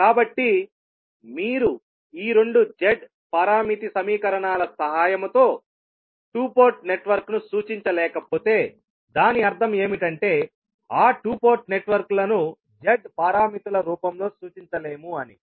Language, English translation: Telugu, So, if you cannot represent the two port network with the help of these two Z parameter equations it means that those two port networks can be represented in the form of, cannot be represented in the form of Z parameters